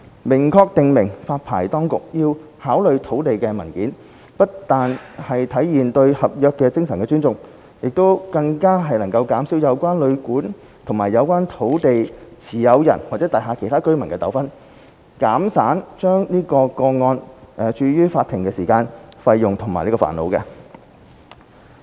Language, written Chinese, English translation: Cantonese, 明確訂明發牌當局要考慮土地文件，不但體現對合約精神的尊重，更能減少有關旅館與有關土地持有人或大廈其他居民的糾紛，減省將個案訴諸法庭的時間、費用和煩惱。, The express provision on consideration of land documents by the authorities will not only embody the respect for the spirit of contract but can also reduce disputes between the hotel or guesthouse and the landlord or other residents of the building saving their time costs and trouble in bringing a case before the court